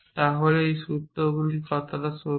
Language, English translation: Bengali, So, when these formulas are is true